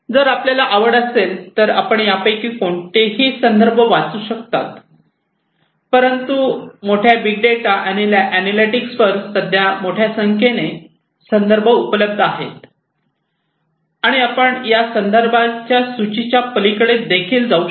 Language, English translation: Marathi, So, if you are interested you could go through any of these references, but there are huge number of references on big data and analytics at present and you could go even beyond these lists of references that are there for you